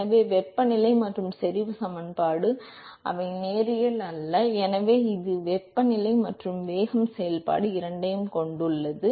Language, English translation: Tamil, So, note that the temperature and the concentration equation, they were non linear because it has both temperature and also the velocity function